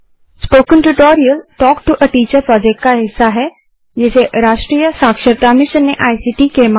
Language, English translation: Hindi, Spoken Tutorial Project is a part of the Talk to a Teacher project, supported by the National Mission on Education through ICT